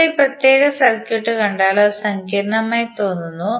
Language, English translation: Malayalam, Now if you see this particular circuit, it looks complex